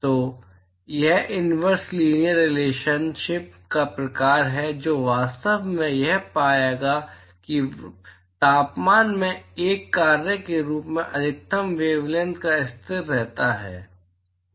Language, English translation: Hindi, So, that is the sort of inverse linear relationship that actually one would find that the maximum wavelength as a function of temperature it seems to remain a constant